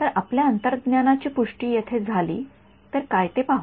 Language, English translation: Marathi, So let us see what if our intuition is confirmed over here